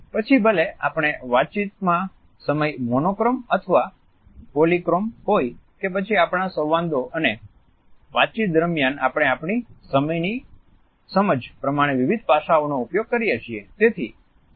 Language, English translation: Gujarati, Whether the time we keep in our communication is monochrome or polychrome or whether during our dialogues and conversations we are using different aspects related with our understanding of time